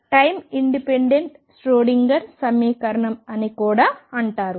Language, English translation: Telugu, Or what is also known as time independent Schrödinger equation